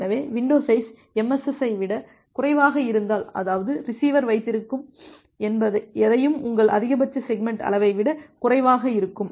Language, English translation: Tamil, So, if the window size is less than MSS; that means, the receiver can whatever receiver can hold it is less than your maximum segment size